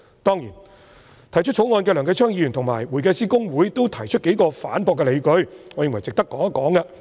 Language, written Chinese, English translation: Cantonese, 當然，提出《條例草案》的梁繼昌議員及公會均提出數個反駁的理據，我認為值得談談。, Certainly Mr Kenneth LEUNG mover of the Bill and HKICPA have raised a number of points to rebut this argument . I think this issue is worth discussing